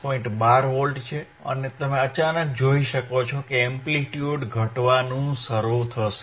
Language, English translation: Gujarati, 12 and you can suddenly see that now the amplitude will start decreasing right yeah